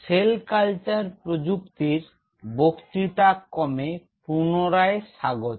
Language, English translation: Bengali, Welcome back to the lecture series in Cell Culture Technology